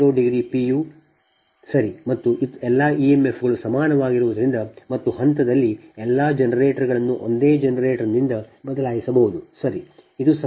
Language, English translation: Kannada, right, and since all the e m fs are equal and in phase, all the generators can be replaced by a single generator right